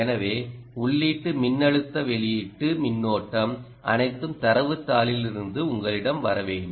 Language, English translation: Tamil, so input voltage, output current, all of that should be essentially coming up to you from the data sheet